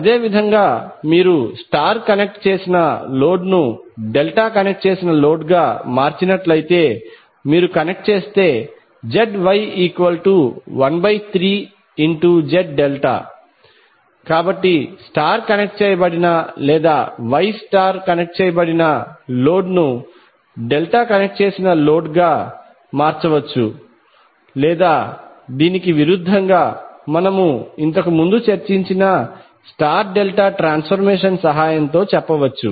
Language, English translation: Telugu, Similarly ZY will be 1 upon 3 of Z delta if you connect if you convert a star connected load into delta connected load, so we can say that the star connected or wye connected load can be transformed into delta connected load, or vice versa with the help of the star delta transformation which we discussed earlier